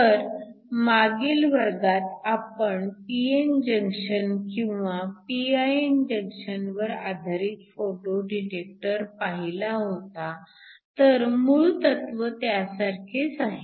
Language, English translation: Marathi, So, last class we saw that your photo detectors are also based upon a p n junction or a pin junction so the basic principle is similar